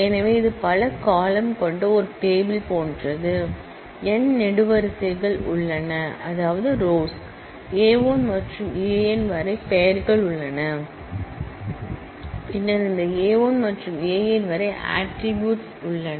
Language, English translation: Tamil, So, it is like a table having multiple columns say, there are n columns, having names A 1 to A n, then this A 1 to A n are the attributes